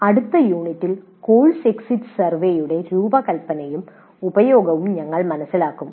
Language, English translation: Malayalam, And in the next unit we'll understand the design and use of course exit survey